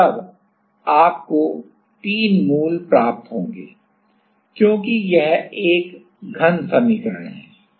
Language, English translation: Hindi, And, then you will get 3 roots because this is a cubic equation